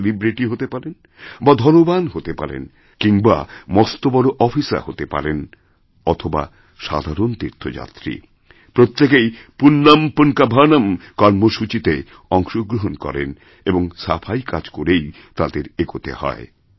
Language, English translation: Bengali, However big a celebrity be, or however rich one might be or however high an official be each one contributes as an ordinary devotee in this Punyan Poonkavanam programme and becomes a part of this cleanliness drive